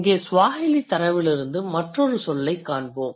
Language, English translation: Tamil, Again the Swahili data